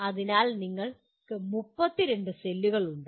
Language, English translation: Malayalam, So you have 32 cells